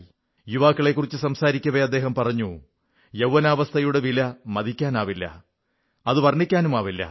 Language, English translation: Malayalam, Referring to the youth, he had remarked, "The value of youth can neither be ascertained, nor described